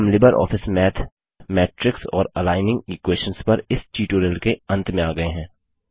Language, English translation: Hindi, This brings us to the end of this tutorial on Matrix and Aligning equations in LibreOffice Math